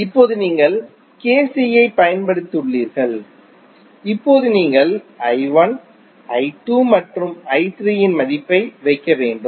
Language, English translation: Tamil, Now, you have applied KCL now you have to put the value of I 1, I 2 and I 3